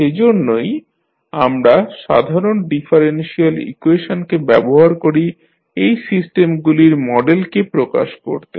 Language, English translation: Bengali, So, that is why we can use the ordinary differential equations to represent the models of those systems